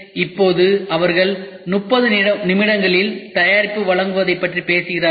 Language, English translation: Tamil, So, now, they are talking about doing product delivering products in 30 minutes